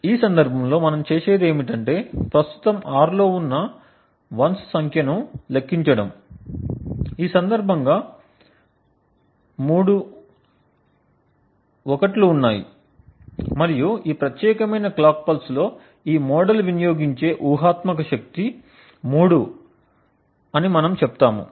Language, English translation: Telugu, In this case what we do is we simply count the number of 1s that are present, in this case there are three 1s present and we say that the hypothetical power consumed by the model is 3 in this particular clock pulse